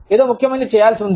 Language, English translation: Telugu, Something important, is going to be done